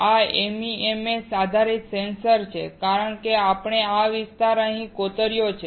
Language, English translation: Gujarati, This is MEMS based sensor because we have etched this area here